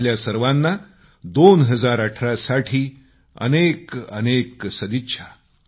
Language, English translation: Marathi, And once again, best wishes for the New Year 2018 to all of you